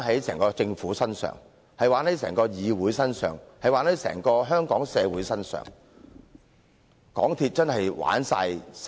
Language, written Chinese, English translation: Cantonese, 整個政府、整個議會，甚至是整個香港社會，均成了港鐵公司的玩弄對象。, As a matter of fact not only the Secretary the Government this Council and even the entire Hong Kong community have all been fooled by MTRCL